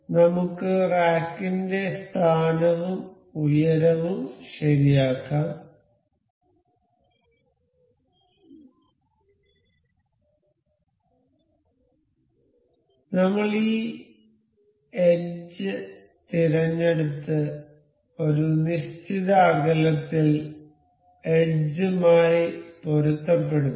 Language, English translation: Malayalam, So, let us just fix the position of rack and for this height, I will select this edge and say this particular edge to coincide with an offset